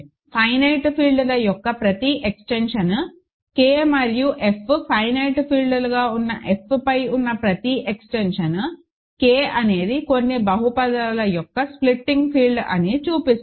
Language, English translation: Telugu, And one can show that then every extension of finite fields, it follows that every extension K over F where K and F are finite fields is a splitting field of some polynomial, ok